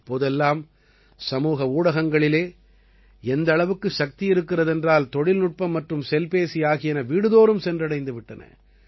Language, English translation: Tamil, Nowadays, the power of social media is immense… technology and the mobile have reached every home